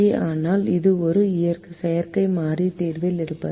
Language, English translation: Tamil, but artificial variable is in the solution